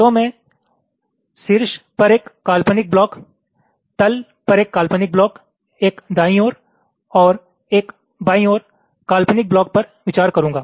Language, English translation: Hindi, so i shall consider an imaginary block on the top, an imaginary block on the bottom, one on the right and one on the left